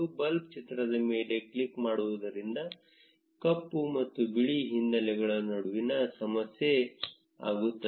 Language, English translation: Kannada, Clicking on the bulb icon will toggle between black and white backgrounds